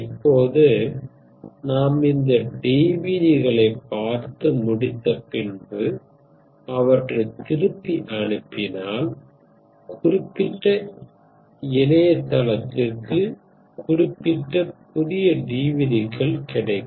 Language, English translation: Tamil, Now, of course, once you send it again, once you watch the DVDs, you send them back, you get a new set of DVDs alright, specific to that particular website